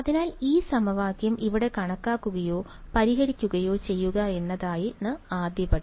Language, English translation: Malayalam, So, the first step is to calculate or rather solve this equation over here